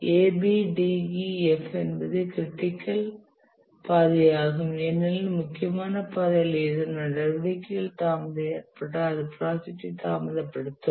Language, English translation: Tamil, And this one, A, B, D, E, F is the critical path because any delay to any of these activities on the critical path will delay the project